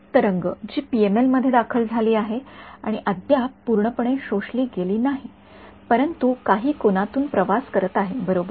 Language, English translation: Marathi, The wave, that has entered the PML and not yet fully absorbed, but travelling at some angle right